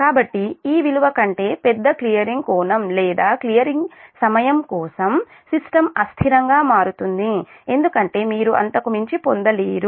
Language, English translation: Telugu, so for a clearing angle or clearing time larger than this value, the system will become unstable because you cannot get beyond that